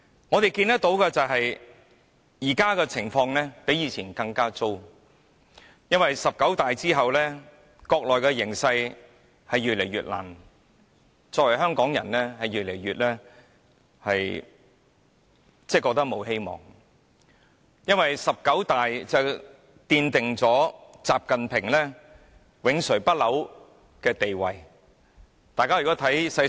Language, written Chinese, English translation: Cantonese, 我們看到的就是，現時的情況比之前更糟糕，因為"十九大"之後，國內的形勢令香港的處境越來越艱難，我們作為香港人越來越感到沒有希望，因為"十九大"奠定了習近平永垂不朽的地位。, The present situation is even worse than that before because the situation in the Mainland after the 19 National Congress of the Communist Party of China has made the situation in Hong Kong much tougher than before . We Hong Kong people feel increasingly hopeless because the 19 National Congress of the Communist Party of China has sort of immortalized the status of XI Jinping